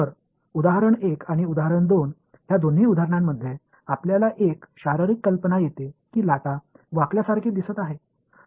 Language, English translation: Marathi, So, in both of these examples example 1 and example 2, we get a physical idea that waves are seeming to bend ok